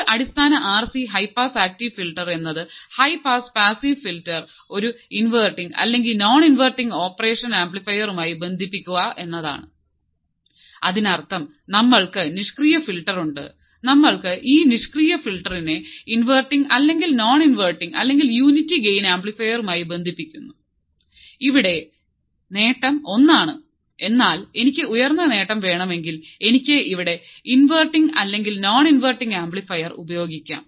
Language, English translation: Malayalam, So, if you see the screen what you will see is like the previous active low pass filter the simplest form of active high pass filter is to connect a standard inverting or non inverting operational amplifier to a basic RC high pass active filter ,high pass passive filter; that means, we have this passive filter and you are connecting this passive filter to either inverting or non inverting or unity gain amplifier, If here the gain is one, but if I want a higher gain I can use inverting or non inverting amplifier here we are using unity gain amplifier